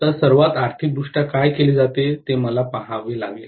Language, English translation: Marathi, So, I have to see what is done most economically, got it